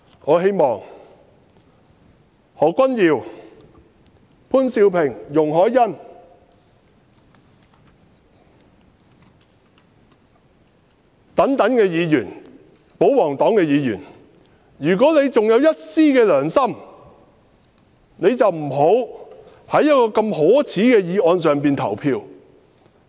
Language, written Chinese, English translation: Cantonese, 我希望何君堯議員、潘兆平議員和容海恩議員此等保皇黨議員，如果還有一絲良心，便不要就一項如此可耻的議案投票。, I hope that royalist Members such as Dr Junius HO Mr POON Siu - ping and Ms YUNG Hoi - yan will refrain from voting this shameful motion if they still have a shred of conscience